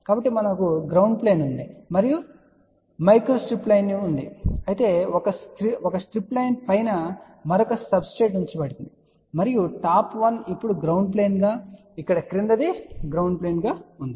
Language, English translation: Telugu, So, we have a ground plane and we has a micro strip line whereas, a strip line has a another substrate put on top of that and there is top one will be now ground plane here the bottom is ground plane